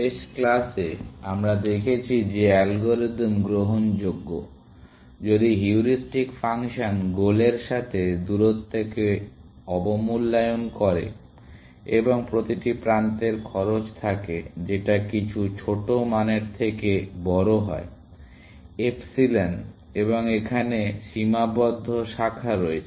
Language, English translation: Bengali, In the last class, we saw that the algorithm is admissible, provided the heuristic function underestimates the distance with the goal, and provided, every edge has the cost, which is greater than the some small value, epsilon, and there is finite branching